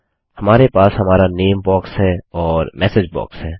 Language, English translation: Hindi, We have our name box and our message box